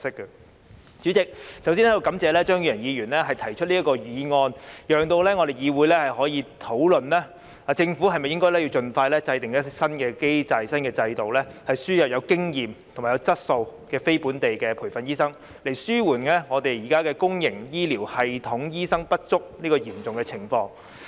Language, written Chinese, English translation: Cantonese, 代理主席，我要感謝張宇人議員提出這項議案，讓議會可以討論政府是否應盡快制訂新機制和新制度，輸入具有經驗和質素的非本地培訓醫生，以紓緩香港現時公營醫療系統醫生不足這嚴重情況。, Deputy President I have to thank Mr Tommy CHEUNG for proposing this motion which enables this Council to discuss whether the Government should expeditiously formulate a new mechanism and a new system for importing experienced and quality non - locally trained doctors so as to alleviate the grave shortage of doctors in the public healthcare system